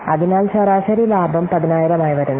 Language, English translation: Malayalam, So, average profit coming to be 10,000